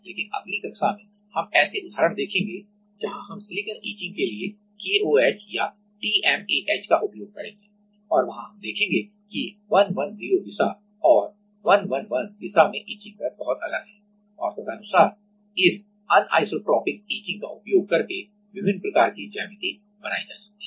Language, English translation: Hindi, But, in the next class we will see the examples where we will use the KOH or TMAH for silicon etching and there we will see that in the 110 direction and 111 direction have very different etching rates and accordingly different kind of geometries are created using this anisotropic etching